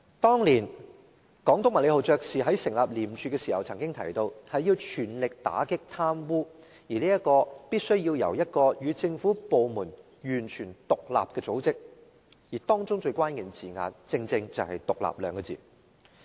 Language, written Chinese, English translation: Cantonese, 當年總督麥理浩爵士在成立廉署時曾經提到，要全力打擊貪污必須由與政府部門完全獨立的組織負責，而當中最關鍵的字眼正是"獨立"二字。, When ICAC was founded the then incumbent Governor MACLEHOSE said that anti - corruption combat must be carried out by an organization completely independent of government departments . The most crucial word in his remark is independent